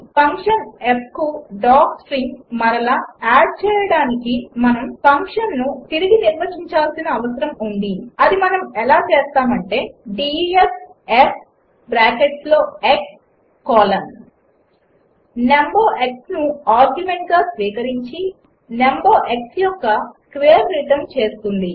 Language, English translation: Telugu, We need to define the function again to add doc string to the function f and we do it as, def f within bracket x colon Accepts a number x as argument and, returns the square of the number x